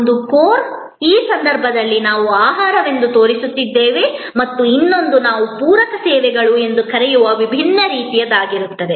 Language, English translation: Kannada, One is the core, which in this case we are showing as food and the other will be different kinds of what we call supplementary services